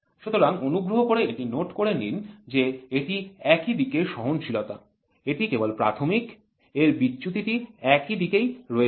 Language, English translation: Bengali, So, please make a note this is unilateral tolerance basic only one side there is deviation